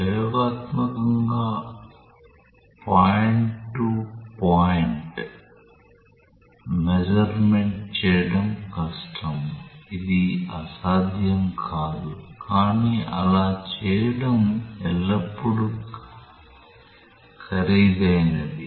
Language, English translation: Telugu, Experimentally point to point measurement is difficult, it is not impossible, but it is it is always more expensive to do that